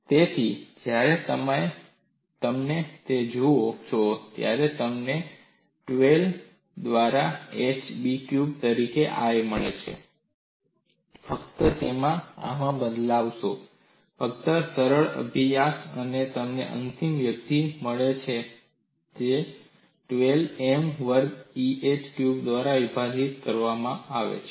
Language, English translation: Gujarati, So, when you look at that, you get I as hB cube by 12, and just substitute it in this; fairly a simple exercise and you get the final expression which is given as 12 M square a divided by EhB cube